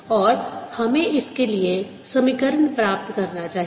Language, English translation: Hindi, you can see that satisfy the equation